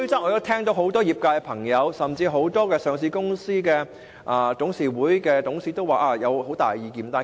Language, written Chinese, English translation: Cantonese, 我聽到很多業界人士甚至上市公司的董事都有很大意見。, I have heard that many people in the industry or even directors of listed companies are not happy with the proposal